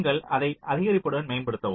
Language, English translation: Tamil, you just incrementally update it